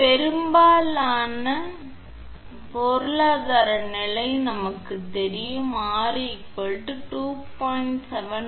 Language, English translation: Tamil, For most economical condition we know R is equal to 2